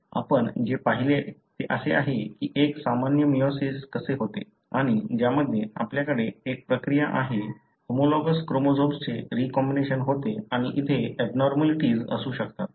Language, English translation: Marathi, What we have seen is that how a normal meiosis takes place and wherein you have a process the homologous chromosomes undergo recombination and there could be abnormalities here